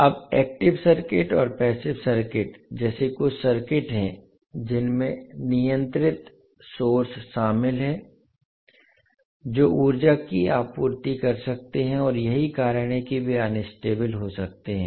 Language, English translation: Hindi, Now there are certain circuits like active circuit and passive circuit which contains the controlled sources which can supply energy and that is why they can be unstable